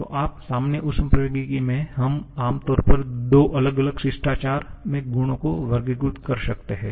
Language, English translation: Hindi, So, in common thermodynamics, we generally can classify properties in two different manners